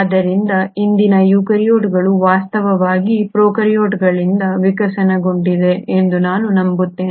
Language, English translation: Kannada, Thus we believe that today’s eukaryotes have actually evolved from the prokaryotes